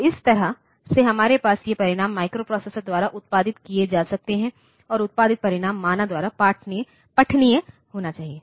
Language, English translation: Hindi, So, that way we can have these results are produced by the microprocessor and the produced result should be readable by the human being